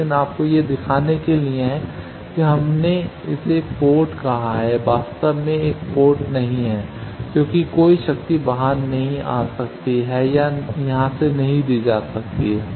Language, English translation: Hindi, But to show you we have called it a port, actually is not a port because no power can come out or can be given from here